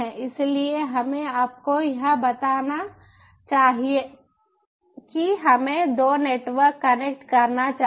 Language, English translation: Hindi, so right now we can see that the two networks are able to connect